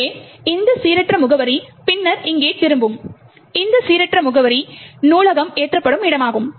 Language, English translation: Tamil, So, this random address then returns here and at this random address is where the library is loaded